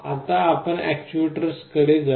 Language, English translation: Marathi, Now, let us come to actuators